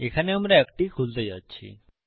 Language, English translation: Bengali, Were going to open one here